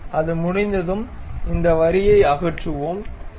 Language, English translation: Tamil, Once it is done we remove this line, ok